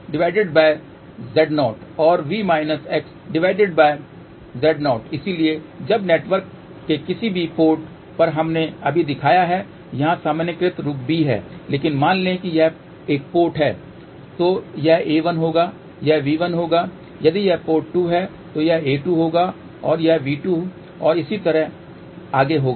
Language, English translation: Hindi, So, now, at any port of the network, so we have just shown here the generalized form a b, but suppose if it is a port 1 then this will be a 1, this will be V 1, if it is port 2 this will be a 2 and this will be V 2 and so on